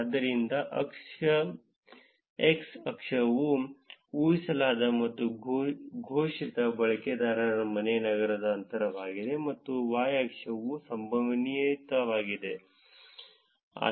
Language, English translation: Kannada, So, x axis is the distance of inferred and declared user home city, and y axis is the probability